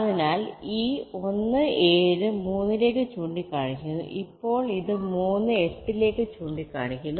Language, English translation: Malayalam, so this one seven was pointing to three, now it will be pointing to three